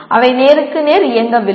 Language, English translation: Tamil, They are not operating face to face